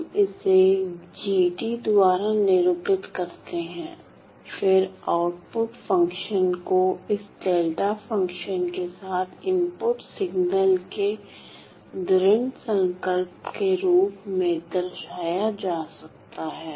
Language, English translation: Hindi, Let us call that this is g of t, then the output function can be represented as this convolution of the input signal with this delta function